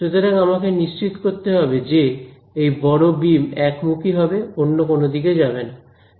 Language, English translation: Bengali, So, I have to make sure that this like this big beam over here is only in one direction not in the other direction